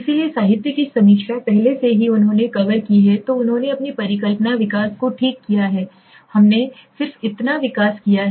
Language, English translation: Hindi, So literature review already he has covered then he has done his hypothesis development okay so which we just did so development is over